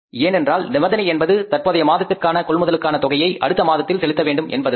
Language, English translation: Tamil, Because the condition is payment will be made for the purchases in the current month, we are going to make the payment in the next month